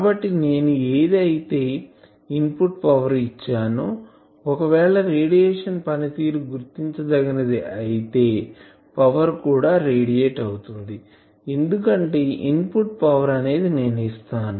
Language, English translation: Telugu, So, whatever input power I am giving , if radiation efficiency is substantial I know ok that power is also getting radiated because I am giving input power